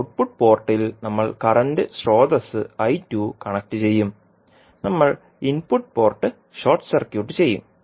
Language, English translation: Malayalam, We will connect a current source I 2 at the output port and we will short circuit the input port